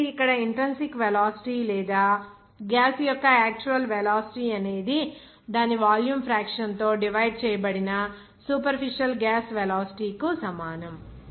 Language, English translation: Telugu, So, here intrinsic velocity or actual velocity of gas will be equal to superficial gas velocity divided by its volume fraction